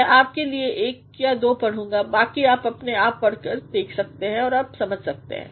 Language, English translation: Hindi, I am going to read one or two rest you can yourself read and you can understand